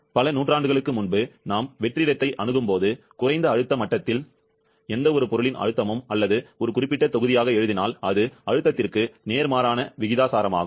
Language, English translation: Tamil, Centuries back, when he observed that at low pressure level as we approach vacuum, the pressure of any substance or if write it as a specific volume is inversely proportional to pressure similarly, the experiment of J